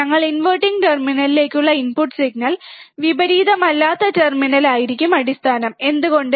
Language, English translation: Malayalam, we will applied input signal to the to the inverting terminal, and the non inverting terminal would be grounded, why